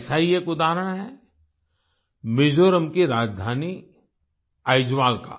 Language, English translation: Hindi, One such example is that of Aizwal, the capital of Mizoram